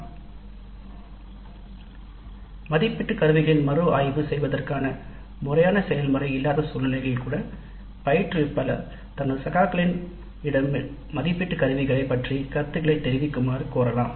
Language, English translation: Tamil, Even in situations where there is no such formal process of review of the assessment instruments the instructor can request her colleagues to give comments on the assessment instruments